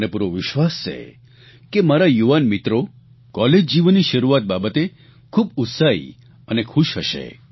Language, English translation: Gujarati, I firmly believe that my young friends must be enthusiastic & happy on the commencement of their college life